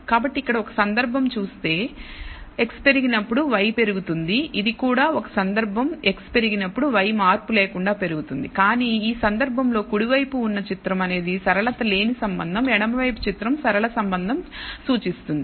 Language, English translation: Telugu, So, here is a case when x increases y increases this also is a case when x increases y increases monotonically, but in this case the right hand figure is a non linear relationship the left hand figure is indicates a linear relationship